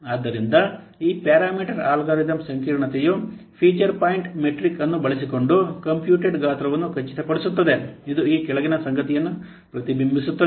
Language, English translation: Kannada, So this parameter, this parameter algorithm complexity, it ensures that the computed size using the feature point metric, it reflects the following fact